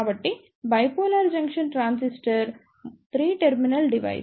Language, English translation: Telugu, So, a Bipolar Junction Transistor is a 3 terminal device